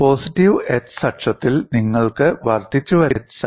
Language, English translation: Malayalam, On the positive x axis, you have incremental crack growth